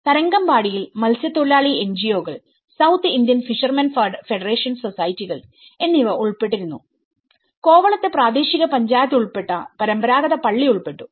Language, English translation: Malayalam, In Tharangambadi the fishermen NGOs, South Indian fishermen federation societies they were involved in it, in Kovalam the traditional church the local Panchayat is involved